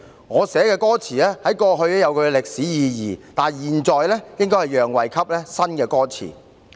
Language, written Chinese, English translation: Cantonese, 我寫的歌詞在過去有它的歷史意義，但現在應該讓位給新的歌詞。, The lyrics written by me had their historic significance in the past but now they should give way to the new lyrics